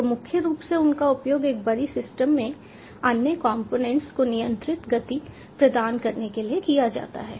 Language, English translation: Hindi, so mainly they are used for providing control, motion to other components in a big system